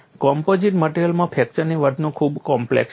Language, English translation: Gujarati, So, fracture behavior in composite material is very, very complex